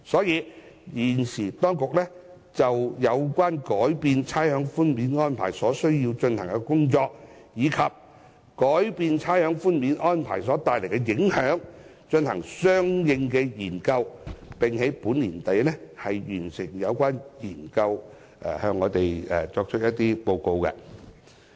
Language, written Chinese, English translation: Cantonese, 因此，當局現正就有關改變差餉寬免安排所需要進行的工作，以及改變差餉寬免安排所帶來的影響，進行相應研究，並會在本年年底完成有關工作後再向立法會報告。, Thus the Government is conducting a study on the work required to change the current arrangements for rates concession and the impacts thereof . It will report to the Legislative Council upon completion of the work at the end of this year